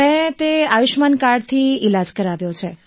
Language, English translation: Gujarati, I have got the treatment done with the Ayushman card